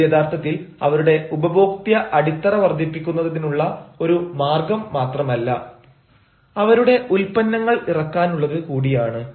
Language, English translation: Malayalam, this is actually a way to enhance and to increase not only their customer base but also launching their products